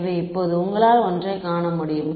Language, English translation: Tamil, So, now, you can see one thing